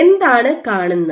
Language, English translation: Malayalam, So, what you will see